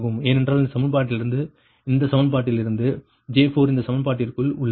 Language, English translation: Tamil, because this is your ah, from this equation, from this equation, j four into this is thing